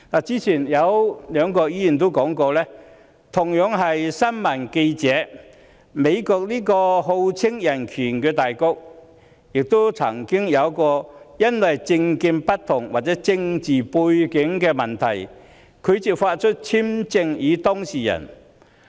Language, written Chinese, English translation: Cantonese, 早前有兩位議員提到，美國這個號稱人權大國的國家，亦曾因為政見不同或政治背景問題，拒發簽證予新聞記者。, Earlier two Members mentioned that the United States known to be a powerful country upholding human rights had refused to issue visas to journalists on grounds of their different political views or their political background